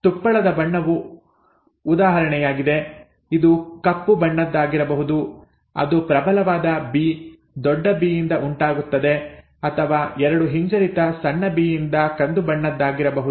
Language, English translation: Kannada, Example is the colour of fur it could either be black which arises from a dominant B, capital B or brown from a double recessive small B